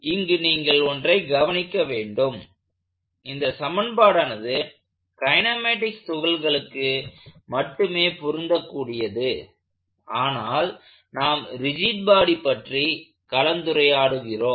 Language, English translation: Tamil, Notice, how this equation is what you would usually use for point particle kinematics and we are dealing with rigid bodies